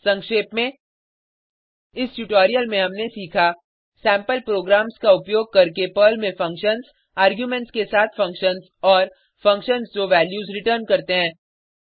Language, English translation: Hindi, In this tutorial, we have learnt Functions in Perl functions with arguments and functions which return values using sample programs